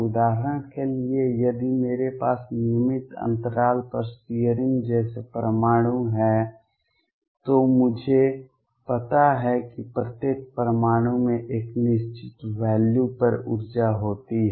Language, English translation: Hindi, For example, if I have atoms like searing on regular interval a then I know that each atom has an energy at a fixed value